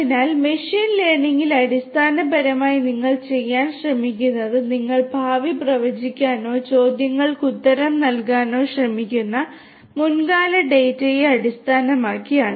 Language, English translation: Malayalam, So, we have, so, in machine learning basically what you are trying to do is based on the past data you are trying to predict or answer questions for the future, right